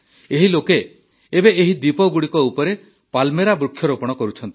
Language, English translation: Odia, These people are now planting Palmyra trees on these islands